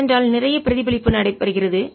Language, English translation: Tamil, that's because there's a lot of reflection taking place